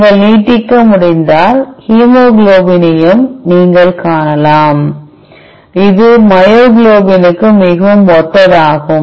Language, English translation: Tamil, And if you can extend you could also you would also see hemoglobin, which is very similar to myoglobin